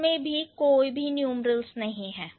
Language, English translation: Hindi, This doesn't have any numeral, no numeral here